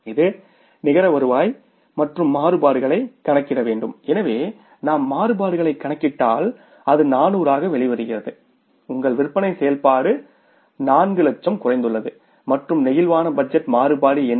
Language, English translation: Tamil, So,, if you calculate the variance this comes out as 400s, your sales activity has come down by 400,000s and what is the flexible budget variance